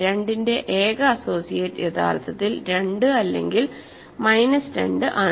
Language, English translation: Malayalam, The only associate of 2 is actually 2 or minus 2